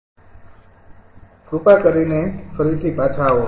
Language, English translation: Gujarati, ok, so please, ah, come back to again